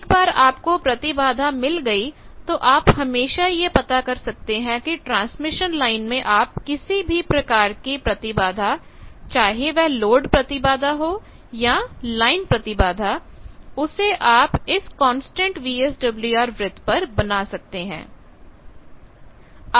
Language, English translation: Hindi, Once you got an impedance you can always find out that if that impedance is one any transmission line, any impedance whether it is load impedance, line impedance, on transmission line then you can draw the constant VSWR circle